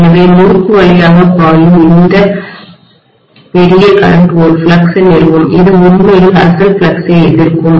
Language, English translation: Tamil, So this large current flowing through the winding will establish a flux which will be actually opposing the original flux